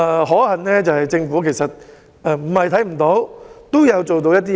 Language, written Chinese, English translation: Cantonese, 可幸，政府沒有視而不見，也有做到一些工夫。, Fortunately the Government has not turned a blind eye to it and has undertaken some work